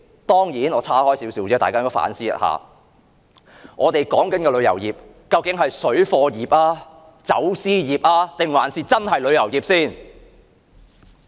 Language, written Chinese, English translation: Cantonese, 當然，我想大家也反思一下另一問題，我們所說的旅遊業，究竟是水貨業、走私業，還是真正的旅遊業？, Certainly I would like Members to ponder on another problem . When we talk about the tourism industry are we referring to parallel trading industry smuggling industry or the genuine tourism industry?